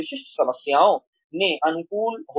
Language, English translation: Hindi, Be adaptable to specific problems